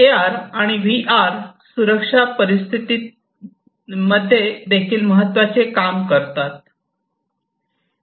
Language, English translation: Marathi, Both AR and VR are also important in safety scenarios